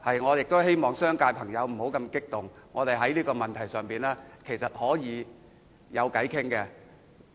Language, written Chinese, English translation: Cantonese, 我亦希望商界朋友不要那麼激動，我們在這個問題上是可以商量的。, I also hope that friends in the business sector will not get too agitated for we can discuss the issue